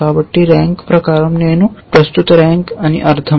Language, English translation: Telugu, So, by rank I mean the current rank